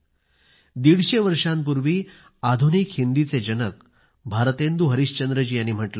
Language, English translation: Marathi, Hundred and fifty years ago, the father of modern Hindi Bharatendu Harishchandra had also said